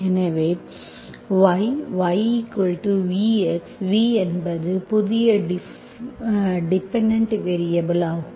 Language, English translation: Tamil, So y is the independent variable, x is the dependent variable